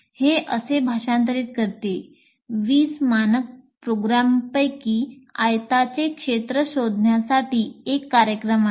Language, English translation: Marathi, Essentially translate like this, you write out of the 20 standard programs, there is one program to find the area of a rectangle